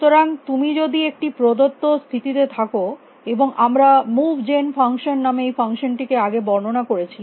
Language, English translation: Bengali, So, that if you are in a given state, and we had defined this function called move gen